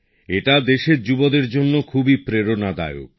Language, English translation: Bengali, This in itself is a great inspiration for the youth of the country